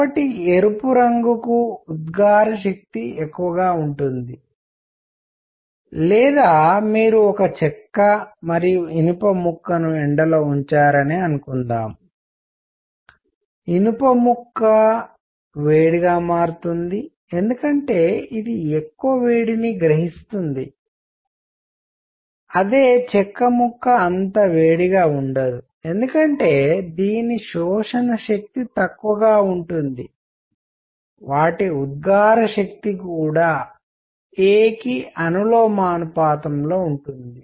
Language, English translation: Telugu, So, emissive power for red color would be more or suppose you put a piece of wood and iron outside in the sun, the iron piece becomes hotter because it absorbs more, wood piece does not get that hot because absorption power is low; their emissive power will also be proportional to that a